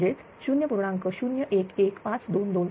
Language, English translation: Marathi, So, you will get 0